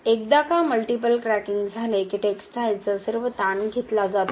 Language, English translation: Marathi, Once the multiple cracking has happened then all the tensile stress is taken by the textile